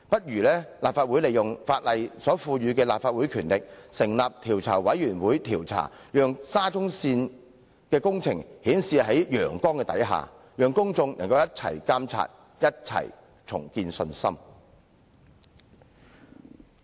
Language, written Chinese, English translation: Cantonese, 因此，立法會應行使法例賦予的權力，成立調查委員會調查，讓沙中線工程可以顯示在陽光下，讓公眾可以共同監督、共同重建信心。, Therefore the Legislative Council should exercise its power vested on it by the Ordinance to set up a select committee to expose the works of SCL under the sun thereby allowing the public to join in the supervision and rebuild their confidence in SCL